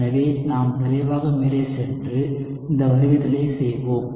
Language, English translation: Tamil, So, we will quickly go ahead and do this derivation